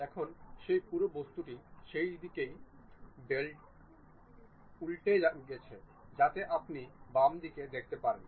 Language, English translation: Bengali, Now, that entire object is flipped in that direction, so that you will see that left one